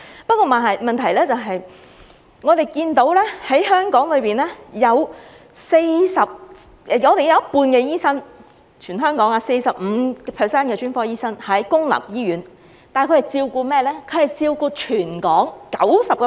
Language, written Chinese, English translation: Cantonese, 不過，問題是，我們看到香港有一半醫生 ......45% 的專科醫生在公立醫院服務，但他們是照顧誰的呢？, However the problem we have noticed is that half of the doctors in Hong Kong 45 % of the specialists in Hong Kong work in public hospitals but who are they taking care of?